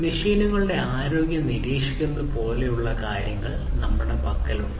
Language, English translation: Malayalam, We have things like monitoring the health of the machines